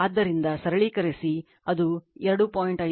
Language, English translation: Kannada, So, you just simplify, it will get 2